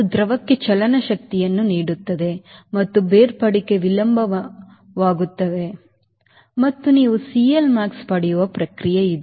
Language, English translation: Kannada, so that will impact kinetic energy to the fluid and the separation will be delayed and a process you get c l max